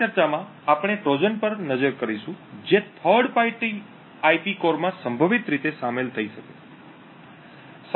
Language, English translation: Gujarati, In this particular talk we will be looking at Trojans that could potentially inserted in third party IP cores